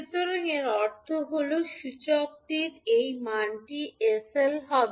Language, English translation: Bengali, So, it means that this value of inductor will be sl